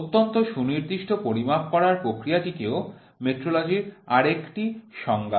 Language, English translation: Bengali, Process of making extremely precise measurement is also a definition of metrology